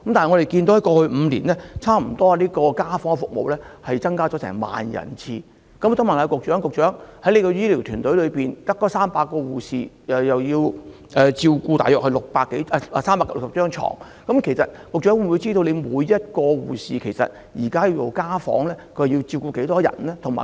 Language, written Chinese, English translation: Cantonese, 我想問局長，在過去5年，家訪服務增加了差不多1萬次，但她的醫療團隊只有300名護士，他們還要照顧360張紓緩治療病床，局長是否知悉，現時每名護士進行家訪時要照顧多少名病人？, In the past five years the number of home visits has increased by almost 10 000 times but her health care team only consists of 300 nurses who are also tasked with attending to the 360 palliative care beds . Does the Secretary know the number of patients that each nurse has to take care per home visit?